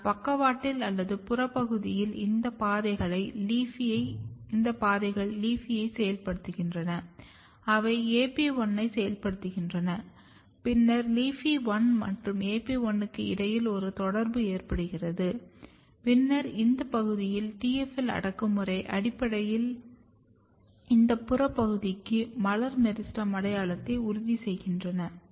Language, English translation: Tamil, But at the flank region or at the peripheral region these pathway or these mechanisms they activate LEAFY, they activate AP1 and then LEAFY and AP1 or interaction between LEAFY1 and AP1; and then repression of TFL in this region essentially ensures floral meristem identity to this peripheral region